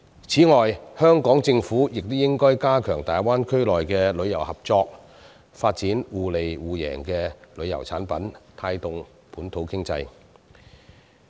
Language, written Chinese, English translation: Cantonese, 此外，香港政府亦應加強與大灣區的旅遊合作、發展互利互贏的旅遊產品，帶動本土經濟。, Besides the Hong Kong Government should also enhance tourism cooperation with the Greater Bay Area to develop tourism products that can achieve complementarity and mutual benefits with a view to promoting the local economy